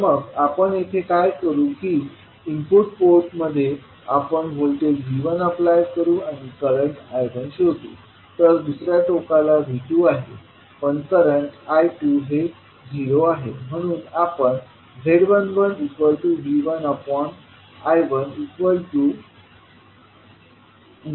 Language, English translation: Marathi, So, in the input port we are applying V1 voltage and we will find out the current I1, while at the other end V2 is there but current I2 is 0